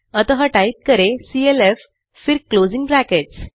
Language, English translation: Hindi, So type clf then closing brackets